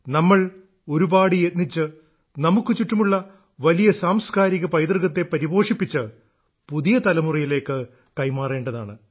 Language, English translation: Malayalam, We have to work really hard to enrich the immense cultural heritage around us, for it to be passed on tothe new generation